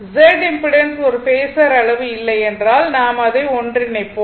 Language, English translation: Tamil, So, if Z impedance is not a phasor quantity, I will come later right